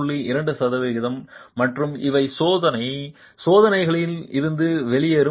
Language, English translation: Tamil, And these are numbers that are coming out of experimental tests